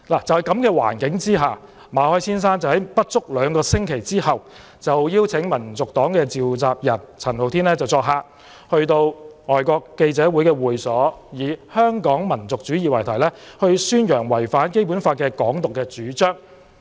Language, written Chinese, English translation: Cantonese, 在這樣的情況之下，馬凱先生在不足兩星期之後，邀請民族黨召集人陳浩天作客，在香港外國記者會的會所以"香港民族主義"為題，宣揚違反《基本法》的"港獨"主張。, Under such circumstances in less than two weeks Mr MALLET invited Andy CHAN the convenor of HKNP to give a talk at the premises of the Foreign Correspondents Club Hong Kong FCC on Hong Kong Nationalism to publicize his proposition on Hong Kong independence which is in contravention of the Basic Law